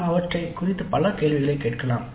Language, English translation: Tamil, We can ask several questions regarding them